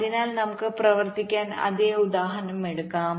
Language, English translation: Malayalam, so lets, lets take the same example to work it